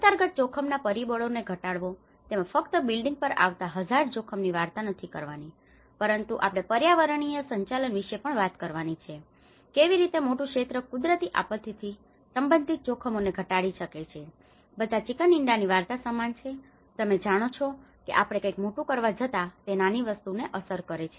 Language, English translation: Gujarati, Reduce the underlying risk factors; and it is not just a story of a building which is prone to the hazard, it also we have to talk about the environmental management, how a larger sector can reduce the risks related to natural disaster because it is all a chicken and egg story you know something happens here, something happens big, something happens big it happens it affects the small thing